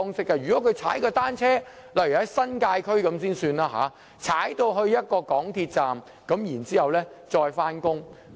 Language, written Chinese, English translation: Cantonese, 舉例來說，如果是住在新界區，市民可以踏單車前往一個港鐵站，然後再上班。, For instance if a person lives in the New Territories he may cycle to an MTR station and then go to work